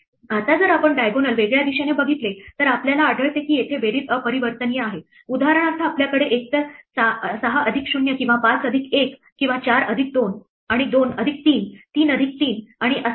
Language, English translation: Marathi, Now, if we look at the diagonals going the other way then we find that the sum is an invariant here for instance we have either 6 plus 0 or 5 plus 1 or 4 plus 2 and 2 plus 3, 3 plus 3 and so on